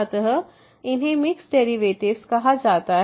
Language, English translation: Hindi, So, these are called the mixed derivatives